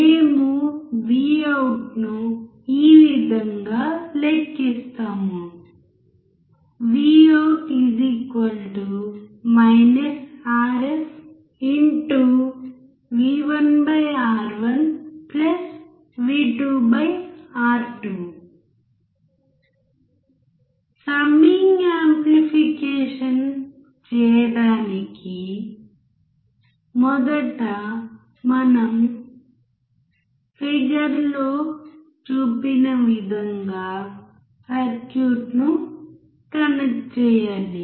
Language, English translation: Telugu, We calculate Vout as To perform summing amplification, first we have to connect the circuit as shown in figure